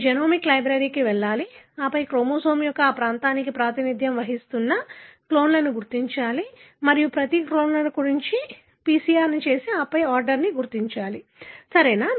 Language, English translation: Telugu, You have to go for the genomic library and then identify clones that represent this region of the chromosome and do PCR for each of the clones and then identify the order, right